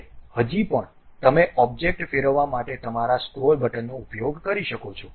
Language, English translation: Gujarati, Now, still you can use your scroll button to really rotate the object also